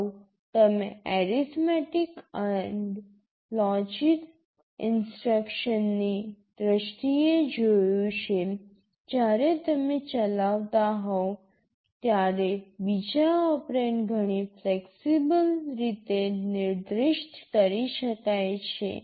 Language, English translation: Gujarati, Earlier you have seen in terms of the arithmetic and logic instructions when you are executing, the second operand can be specified in so many flexible ways